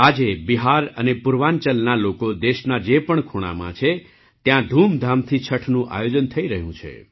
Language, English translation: Gujarati, Today, wherever the people of Bihar and Purvanchal are in any corner of the country, Chhath is being celebrated with great pomp